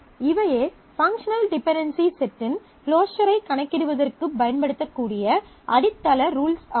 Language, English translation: Tamil, So, these are the foundational rules observed which can be made used to compute the closure of the set of functional dependencies